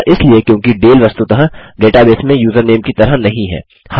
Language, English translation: Hindi, Thats because Dale is not actually in the data base as a username